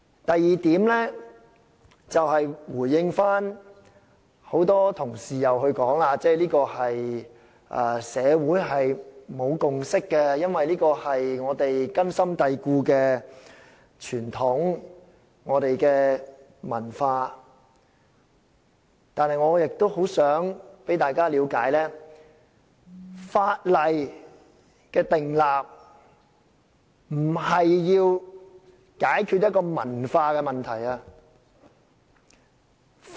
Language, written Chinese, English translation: Cantonese, 第二點，回應很多同事說社會沒有共識，因為這是我們根深蒂固的傳統文化，我想大家了解，訂立法例不是要解決文化問題。, Second in response to the comment made by many colleagues that no consensus has been forged in society because this is a deep - rooted tradition in our culture I hope Members will understand that the enactment of legislation does not serve to resolve cultural issues